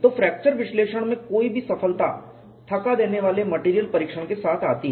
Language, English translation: Hindi, So, any success in fracture analysis goes with exhaustive material testing